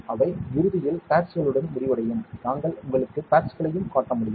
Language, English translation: Tamil, They eventually end up with pads we can I can show you the pads also